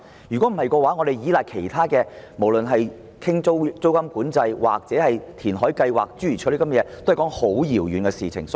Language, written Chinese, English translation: Cantonese, 如果我們只依賴其他措施如租金管制或填海計劃等，其實是過於遙遠。, It is indeed too far - off to rely on other measures such as renal control or reclamation projects